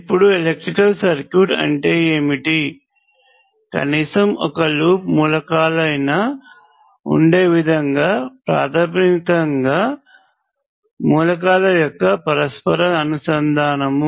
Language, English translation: Telugu, Now, what is an electrical circuit, it is basically an interconnection of elements such that there is at least one loop of elements